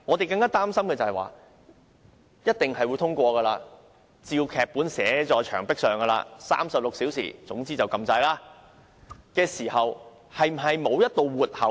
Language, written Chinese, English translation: Cantonese, 這法案是一定會通過的，劇本已經寫在牆壁上 ，36 小時後便按下按鈕，雖然是這樣，但是否沒有一道活口呢？, The Bill will definitely be passed . The script is on the wall and they will press the button 36 hours later . Despite that is there any exit?